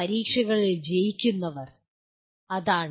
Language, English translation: Malayalam, Those who pass examinations that is it